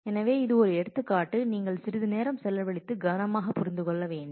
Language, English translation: Tamil, So, this is an example which you will have to spend some time and understand with care